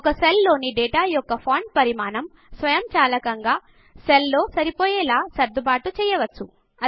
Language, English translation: Telugu, The font size of the data in a cell can be automatically adjusted to fit into a cell